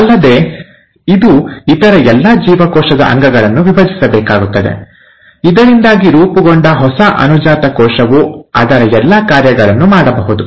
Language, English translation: Kannada, Also, it has to divide all the other cell organelles, so that the new daughter cell which is formed, can do all its functions